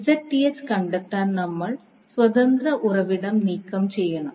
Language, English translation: Malayalam, So, to find the Zth we remove the independent source